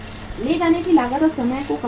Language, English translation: Hindi, Minimizes the carrying cost and time